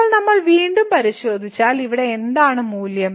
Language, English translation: Malayalam, So, now if we check again what is the value here